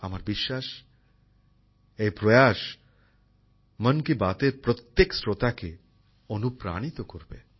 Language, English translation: Bengali, I hope this effort inspires every listener of 'Mann Ki Baat'